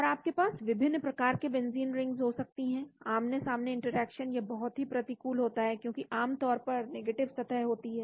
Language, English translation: Hindi, And you can have different types of benzene rings, face to face interaction this is very unfavourable, because the surface is generally negative